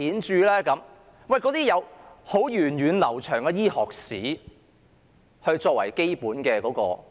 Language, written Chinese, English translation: Cantonese, 這些是有源遠流長的醫學史作為基本支持的。, These specialties are found on a solid foundation with a long medical history